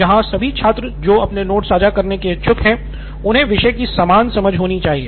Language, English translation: Hindi, As in all the students or students who are willing to share their notes should have the same understanding of the topic